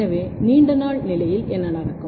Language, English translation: Tamil, So, in long day condition, what happens